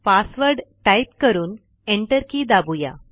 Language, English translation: Marathi, Let us type the password and press enter